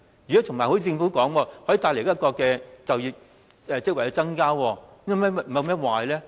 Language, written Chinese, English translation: Cantonese, 而且正如政府所說的，可以帶來就業職位的增加，有甚麼壞處呢？, As the Government says this can bring about an increase in job opportunities and how harmful is that?